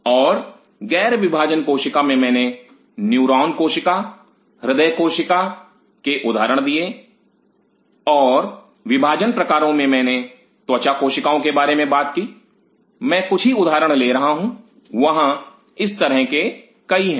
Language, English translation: Hindi, And in the non dividing cell I give the example of a neuronal cell, cardiac cell and in the dividing type I talked about the skin cells I am just taking example there are so many of this